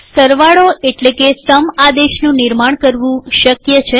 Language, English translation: Gujarati, It is possible to create sum command